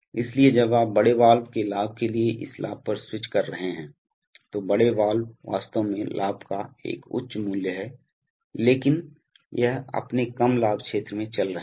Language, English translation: Hindi, So when you are switching on from this gain to the gain of the large valve, so the large valve actually has a high value of gain but it is operating in its low gain region